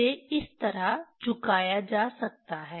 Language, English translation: Hindi, This can be tilted like this